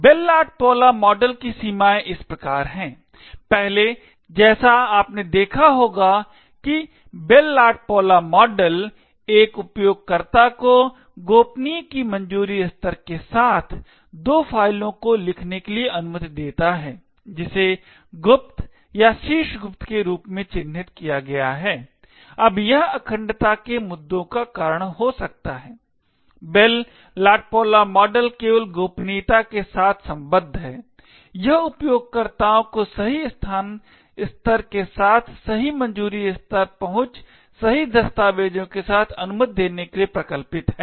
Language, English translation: Hindi, The limitations of the Bell LaPadula model is as follows, first as you would have noticed that the Bell LaPadula model permits a user with a clearance of confidential to write two files which is marked as secret or top secret, now this could cause integrity issues, the Bell LaPadula model is only concerned with confidentiality it is design to permit users with the right clearance level access right documents with the correct location level